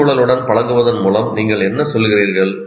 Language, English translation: Tamil, What do we mean by accustoming to the environment